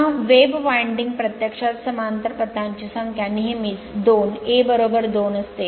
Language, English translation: Marathi, Now, for a wave winding actually number of parallel path is always 2, A is equal to 2